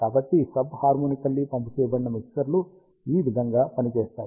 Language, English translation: Telugu, So, this is how ah sub harmonically pumped mixers works